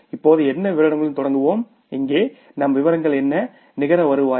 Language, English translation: Tamil, Now what is the we will start with particulars and what is our particulars here net revenue